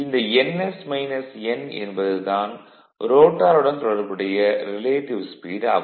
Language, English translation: Tamil, This is ns minus n is called slip speed and this is your synchronous speed